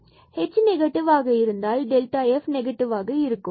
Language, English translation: Tamil, So, if h is positive with the delta f is negative h is negative then delta f is positive